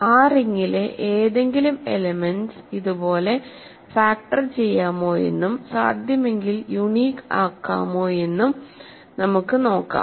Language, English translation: Malayalam, Can we now say that any element in that ring can be factored like this and if possible uniquely ok